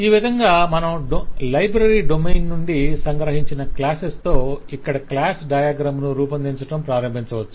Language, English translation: Telugu, So in this way, you can see a whole lot of classes that are captured from the library domain to represent the to build up, start building up the class diagram